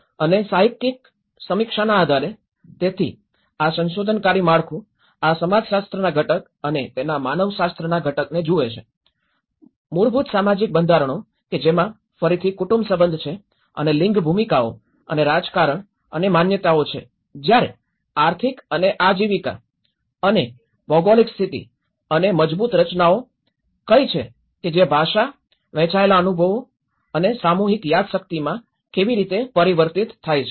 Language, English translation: Gujarati, And based on that literature review, so this investigative framework looks at this the sociological component and the anthropological component of it, the fundamental social structures which have again the family kinship and the gender roles and politics and belief system whereas, the economics and livelihood and geographical conditions and what are the reinforcing structures which like language, shared experiences and the collective memory how it gets transformed